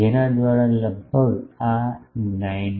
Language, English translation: Gujarati, Through which is almost this 19